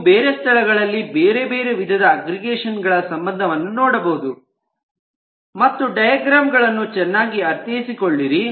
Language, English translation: Kannada, you can see other different aggregation relationships also at other places and try to understand the diagram better